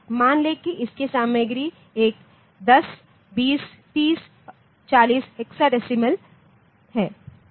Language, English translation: Hindi, suppose its content is a hexadecimal 10, 20, 30, 40